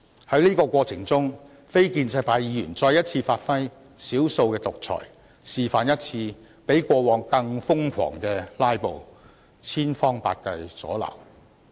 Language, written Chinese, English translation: Cantonese, 在這個過程中，非建制派議員再一次發揮"少數的獨裁"，示範了一次比過往更瘋狂的"拉布"，千方百計加以阻撓。, In the process non - establishment Members once again brought their minority autocracy into play and demonstrated a crazier - than - ever filibuster leaving no stone unturned to cause obstruction